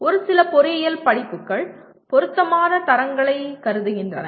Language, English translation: Tamil, Whereas a few engineering courses do consider relevant standards